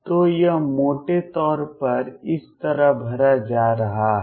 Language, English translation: Hindi, So, this is going to be roughly filled like this